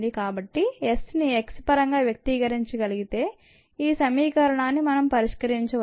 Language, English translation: Telugu, if we can express s in terms of x, then we can solve this equation